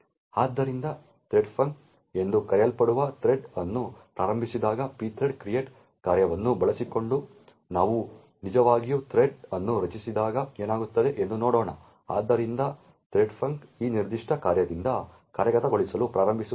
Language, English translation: Kannada, So, let us see what happens when we actually created thread using the pthread create function which starts a thread known as threadfunc, so the threadfunc starts to execute from this particular function